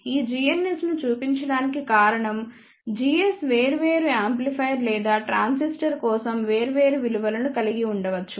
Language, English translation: Telugu, The reason to show this g ns is because g s may have different values for different amplifier or transistor